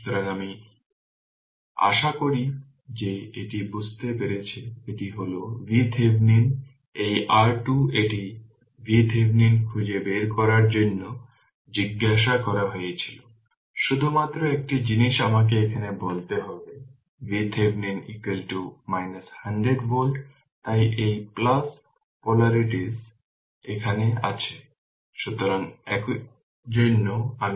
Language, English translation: Bengali, So, this is hope you have understood this is V Thevenin this is R Thevenin it was ask to find out V Thevenin, we will got only one thing I have to tell you here we got V Thevenin is equal to minus 100 volt right that is why this plus polarities at the bottom and minus is here right